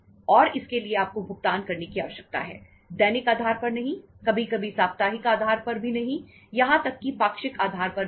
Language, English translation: Hindi, And for that you need to make the payments, not on daily basis, sometime not on weekly basis, even not on the fortnightly basis